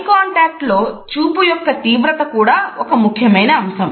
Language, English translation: Telugu, The intensity of gaze in eye contacts is also an important aspect